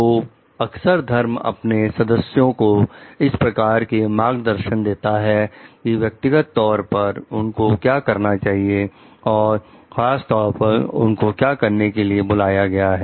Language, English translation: Hindi, So, religion often puts their guidance to members about what they are supposed to do as individuals and particularly what they are called to do